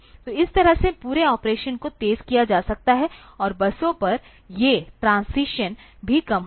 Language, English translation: Hindi, So, that is how the whole operation can be made faster, and these transitions on the buses will also be less